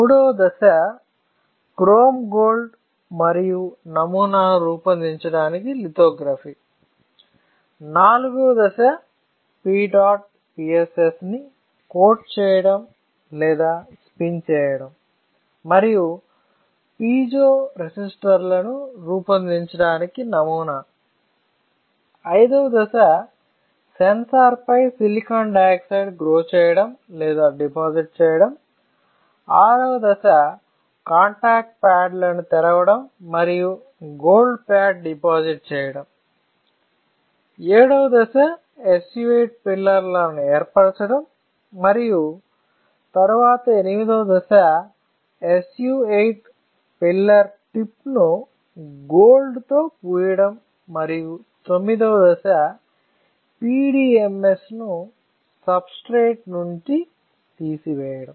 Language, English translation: Telugu, Third step is chrome gold deposition and lithography to form pattern; fourth step is to deposit or spin coat P dot PSS and pattern it to form piezo resistors; fifth step is to grow or deposit silicon dioxide on the sensor; sixth step is to open the contact pads and to deposit a gold pad; the seventh step is to form the SU 8 pillars and then eighth step is to coat the SU 8 pillar tip with gold and ninth step would be to strip the PDMS from the substrate